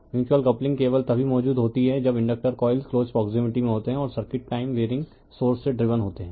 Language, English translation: Hindi, Mutual coupling only exist when the inductors are coils are in close proximity and the circuits are driven by time varying sources